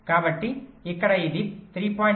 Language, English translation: Telugu, so here it should be